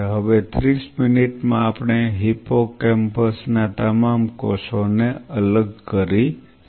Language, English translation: Gujarati, Now at 30 minutes we dissociated all the cells of hippocampus